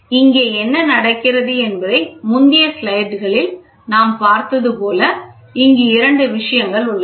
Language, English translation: Tamil, So, here what happens is like we saw in the previous slides also, you have two things